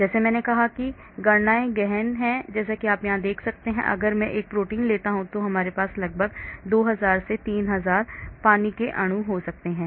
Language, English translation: Hindi, like I said calculations are intensive as you can see here, if I take a protein I may have about 2000 or 3000 water molecules